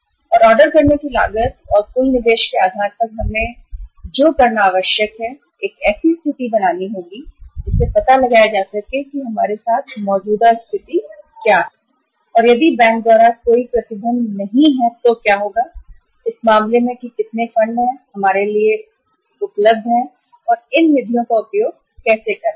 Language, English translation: Hindi, And on the basis of the ordering cost and the total investment which is required to be made we will have to create a situation that to find out what is the existing situation with us and if there is no restriction by the bank then what will be the uh will be the case that how much uh funds are available to us and how we are utilizing these funds